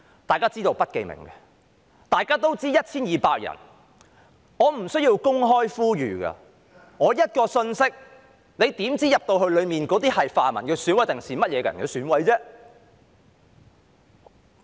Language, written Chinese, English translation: Cantonese, 大家都知道是不記名的，也知道有 1,200 人，我不需要公開呼籲，只須發一個信息，你怎知道當中是泛民的選委，還是甚麼人的選委呢？, An open appeal was unnecessary . There was only the need to send out a message . How would anyone know whether the EC members involved were pan - democrats or other people?